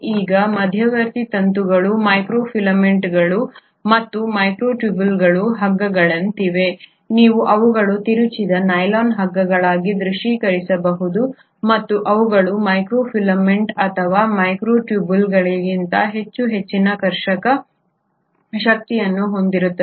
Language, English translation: Kannada, Now intermediary filaments unlike microfilaments and microtubules are more like ropes, you can visualize them as nylon ropes which are twisted and they are much more having a much more higher tensile strength than the microfilaments or the microtubules